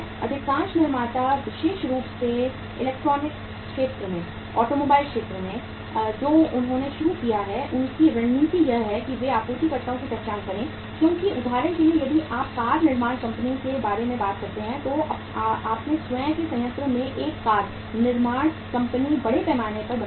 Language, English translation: Hindi, Most of the manufacturers especially in electronics sector, in the automobile sector what they have started doing is their strategy is they identify the suppliers because for example if you talk about the car manufacturing company, a car manufacturing company in its own plant manufactures largely it manufactures the gearbox